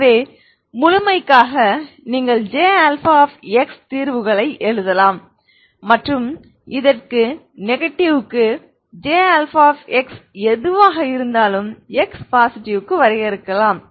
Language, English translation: Tamil, So just for the sake of completeness you can write solutions j alpha j alpha and whatever j alpha for the negative for this is for x positive